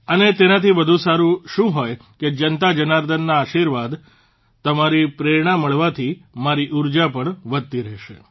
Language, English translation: Gujarati, The blessings of the JanataJanardan, the people, your inspiration, will also continue to enhance my energy